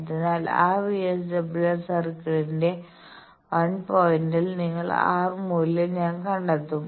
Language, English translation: Malayalam, So, I will find out that r bar value that will give me 1 point of that VSWR circle